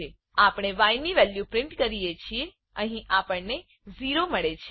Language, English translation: Gujarati, We print the value of y, here we get 0